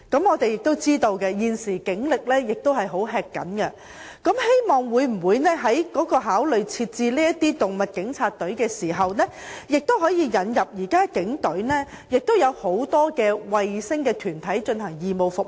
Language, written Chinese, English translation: Cantonese, 我們知道現時警力十分緊張，但我們希望警方考慮成立"動物警察"專隊，並引入現時警隊內很多"衞星團體"提供義務服務。, We know that the current manpower of the Police is very tight but we still hope that the Police will consider setting up animal police teams and incorporate a number of satellite groups to the Police Force to provide voluntary services